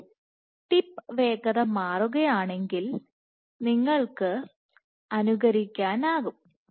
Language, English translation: Malayalam, So, if you change the tip speed you can simulate